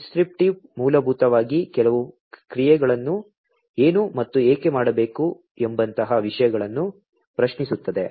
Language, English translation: Kannada, Prescriptive basically questions things like, what and why to perform some of the actions